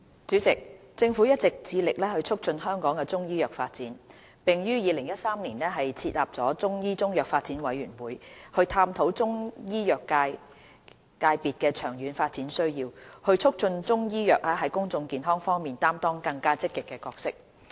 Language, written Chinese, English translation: Cantonese, 主席，政府一直致力促進香港的中醫藥發展，並於2013年設立中醫中藥發展委員會，以探討中醫藥界別的長遠發展需要，促進中醫藥在公眾健康方面擔當更積極的角色。, President the Government has all along been committed to promoting the development of Chinese medicine in Hong Kong . To this end the Government established the Chinese Medicine Development Committee CMDC in 2013 to explore the long - term development needs of the Chinese medicine sector so as to facilitate Chinese medicine to play a more active role in public health